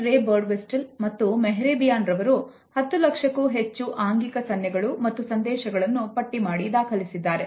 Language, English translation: Kannada, These researchers, Professor Ray Birdwhistell and Mehrabian noted and recorded almost a million nonverbal cues and signals